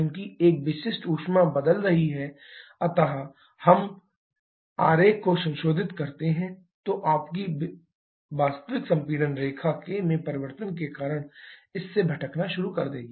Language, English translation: Hindi, As a specific heat is changing then if we modify the diagram, your actual compression line will start deviating from this because the change in k